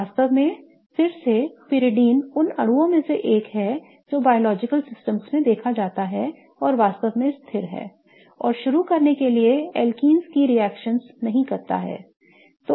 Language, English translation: Hindi, In fact again, pyridine is one of the molecules that is seen in biological systems and really is stable and doesn't do the reactions of alkenes to begin with